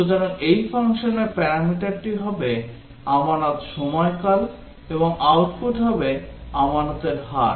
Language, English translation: Bengali, So, the parameter to this function will be the deposit period and the output will be the deposit rate